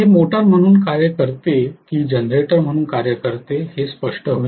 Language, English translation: Marathi, This will distinct whether it is the functioning as a motor or whether it is functioning as a generator